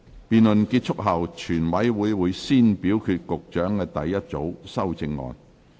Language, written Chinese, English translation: Cantonese, 辯論結束後，全委會會先表決局長的第一組修正案。, Upon the conclusion of the debate committee will first vote on the Secretarys first group of amendments